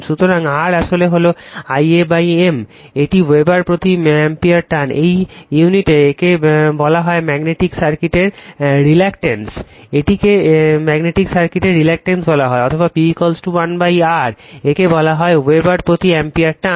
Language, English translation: Bengali, So, R actually we call l upon A mu M it is ampere turns per Weber its unity, it is called reluctance of the magnetic circuit right, this is called the reluctance of the magnetic circuit; or P is equal to 1 upon R, it is called Weber per ampere turns right